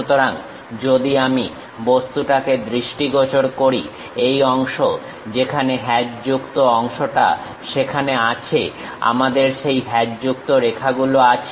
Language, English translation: Bengali, So, if I am visualizing this object, this part where the hatched portion is there we have that hatched lines